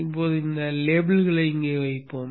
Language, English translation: Tamil, Now let us place these labels here